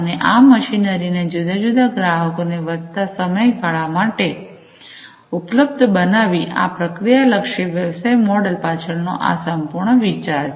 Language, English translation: Gujarati, And making these machinery available for increased durations of time to different customers, this is the whole idea behind this process oriented business model